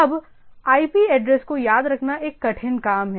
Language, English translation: Hindi, Now, remembering IP address is the tedious job right